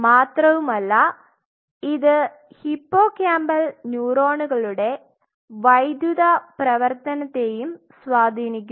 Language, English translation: Malayalam, And it also influences the electrical activity of these hippocampal neurons